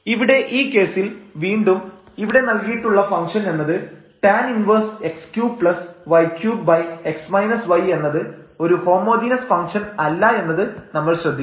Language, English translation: Malayalam, And in this case so, again, but we should note that this given function tan inverse y cube plus x cube over x minus y is not a homogeneous function